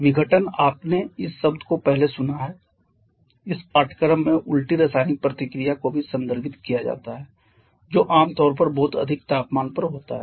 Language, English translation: Hindi, Dissociation you have heard this term earlier in this course also refers to the reverse chemical reaction which generally happens at very high temperatures